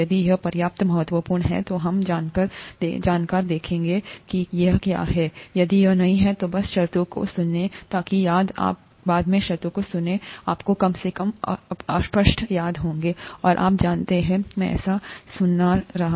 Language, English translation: Hindi, If it is important enough, we will go and see what it is; if it is not, just hear the terms so that if you hear the terms later, you will at least vaguely remember, and you know, I have kind of heard this somewhere